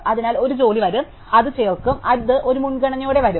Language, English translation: Malayalam, So, a job will come it will be inserted, it will come with a priority